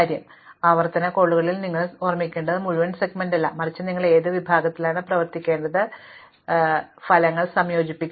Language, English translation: Malayalam, So, what you need to remember in the recursive call is not the entire segment, but just what segment you need to work on, you do not need to combine the results